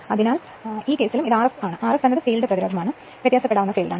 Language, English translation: Malayalam, So, in this case and this is R f, R f is the field resistance, this is the field that this you also you can vary